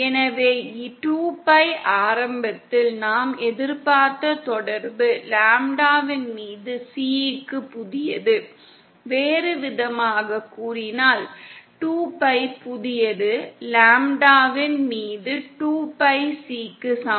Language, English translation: Tamil, So 2 Pi, initially the relation we were expecting was New equal to C upon lambda, on in other words 2 Pi new is equal to 2 Pi C upon lambda